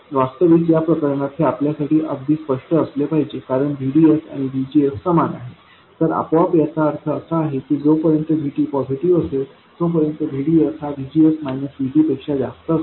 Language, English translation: Marathi, Actually, in this case it must be pretty obvious to you because VDS equals VGS, so this automatically means that VDS will be greater than VGS minus VT as long as VT is positive